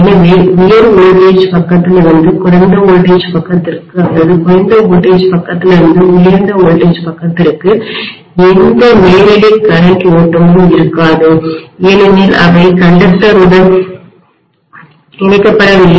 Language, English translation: Tamil, So there will not be any direct current flow from the high voltage side to the low voltage side or low voltage side to the high voltage side, so they are not conductively connected